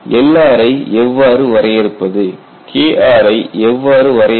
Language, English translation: Tamil, How to define L r, how to define K r